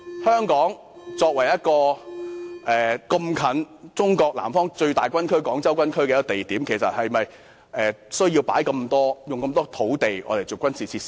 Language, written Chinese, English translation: Cantonese, 香港鄰近中國南方最大軍區的廣州軍區，是否有需要劃出這麼多土地作為軍事用地呢？, Hong Kong is located in close proximity to the Guangzhou Military Region the largest Military Region in Southern China . Is it necessary to designate so many areas as military sites?